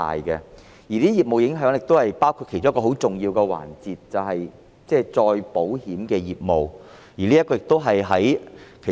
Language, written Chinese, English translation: Cantonese, 這些影響其中一個很重要的環節，便是再保險的業務。, One of the areas being seriously affected is reinsurance business